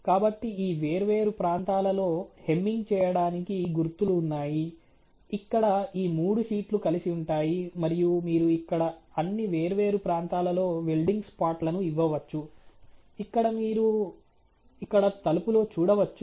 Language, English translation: Telugu, So, there are spots related to doing the hamming in all this different regions, you know where this three sheets would be meeting together and you can have welded spots in almost all these different areas as you can see here in the door